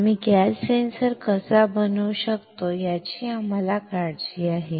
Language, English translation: Marathi, What we care is how can we fabricate the gas sensor